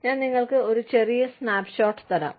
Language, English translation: Malayalam, I will just give you a brief snapshot